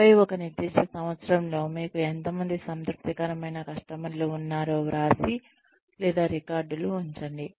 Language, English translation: Telugu, And then, write down or keep records of, how many satisfied customers, you had in a particular year